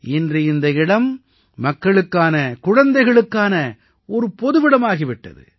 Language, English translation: Tamil, Today that place has become a community spot for people, for children